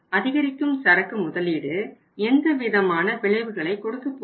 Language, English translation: Tamil, Means that increased investment in the inventory is going to give what kind of results